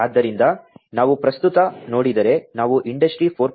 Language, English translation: Kannada, So, if we look at present we are talking about Industry 4